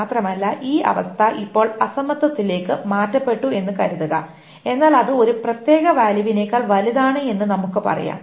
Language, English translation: Malayalam, Moreover, suppose the condition is now changed to not equality but it is, let us say, greater than a particular value